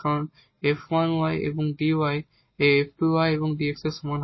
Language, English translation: Bengali, So, we have f 1 y and dy over dx is equal to f 2 x